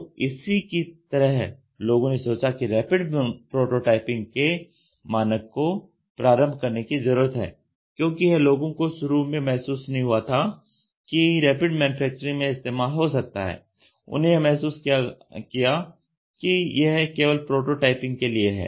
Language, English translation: Hindi, So, like that people thought there is a need to initiate this rapid prototyping standards tool because people did not realize in the initial days that this can be used for Rapid Manufacturing, they realized it only for prototyping